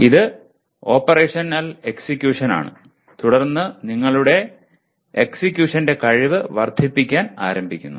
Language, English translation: Malayalam, It is operational execution and then starts increasing the skill of your execution